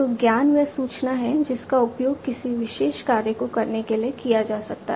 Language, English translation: Hindi, So, knowledge is that information that can be used to perform a particular task